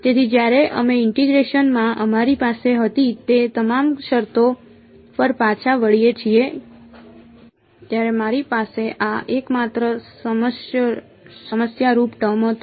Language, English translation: Gujarati, So, when we look back at all the terms that we had in the integration right this was the only problematic term when I have